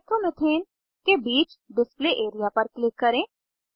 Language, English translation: Hindi, Click on the Display area in between Nitromethanes